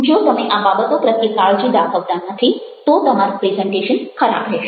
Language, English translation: Gujarati, if you don't take care of these things, then your presentations is going to be bad